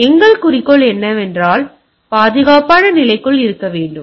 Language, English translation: Tamil, So, our goal is that that if it is it should be within the secure state